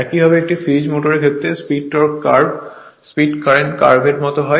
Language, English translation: Bengali, Similarly, in the case of a series motor nature of the speed torque curve is similar to that of the speed current curve right